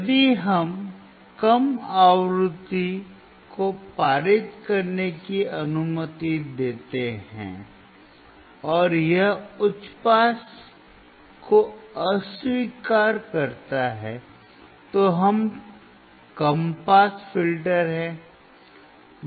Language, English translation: Hindi, If it is allowing the low frequency to pass and it rejects high pass, then it is low pass filter